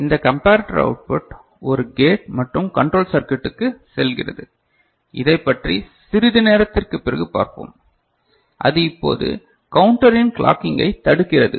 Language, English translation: Tamil, And this comparator output goes to a gate and control circuit, which we shall see little later right and that now inhibits the clocking to the counter ok